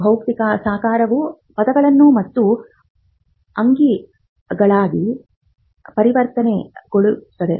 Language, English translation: Kannada, So, the physical embodiment now gets converted into words and figures